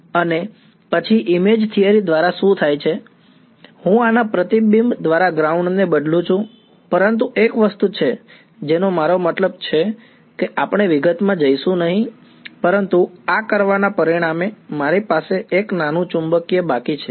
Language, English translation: Gujarati, And, then what happens by image theory is, I replace the ground by the reflection of this, but there is one thing I mean we will not go into the detail, but as a result of doing this, I am left with a small magnetic current over here ok